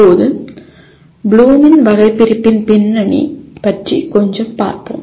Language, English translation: Tamil, Now a little bit of background on Bloom’s taxonomy